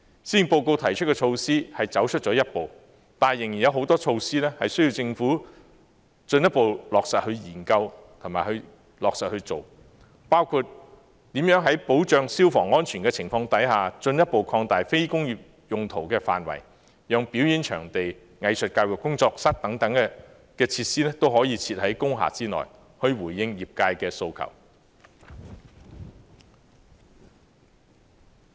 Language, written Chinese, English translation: Cantonese, 施政報告提出的措施走出了一步，但仍然有很多措施需要政府進一步研究和落實推行，包括如何在保障消防安全的情況下，進一步擴大非工業用途的範圍，讓表演場地、藝術教育工作室等設施可以設在工廈內，以回應業界的訴求。, The initiatives put forward in the Policy Address have taken a step forward but there are still many that warrant further study and implementation by the Government including further expansion of the scope of non - industrial uses under the assurance of fire safety to allow certain facilities such as performance venues and arts education workshops to be located in industrial buildings in response to the demands of the relevant sectors